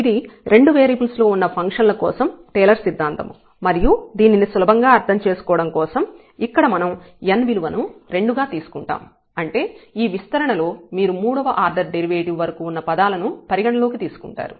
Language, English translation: Telugu, So, this is the Taylor’s theorem for two variables and we will take just for simplicity the n is equal to 2; that means, you will consider the terms in the expansion up to order 3